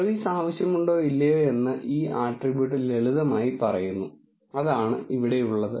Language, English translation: Malayalam, And this attribute simply says whether service is needed or not that is what here